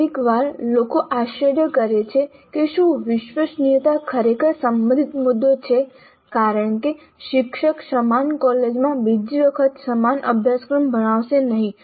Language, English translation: Gujarati, Now sometimes people do wonder whether reliability is really a relevant issue because a teacher may not teach the same course second time in the same college